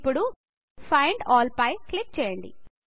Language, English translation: Telugu, Now click on Find All